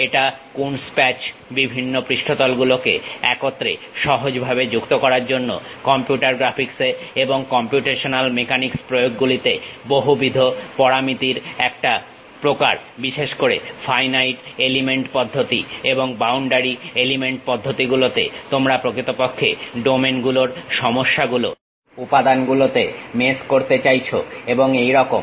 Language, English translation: Bengali, A Coons patch, is a type of manifold parameterization used in computer graphics to smoothly join other surfaces together, and in computational mechanics applications, particularly in finite element methods and boundary element methods, you would like to really mesh the problems of domains into elements and so on